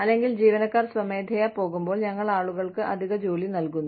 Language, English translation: Malayalam, Or, when employees leave voluntarily, we give people, additional work